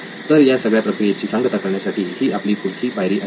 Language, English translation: Marathi, So that would be our next step to end this whole process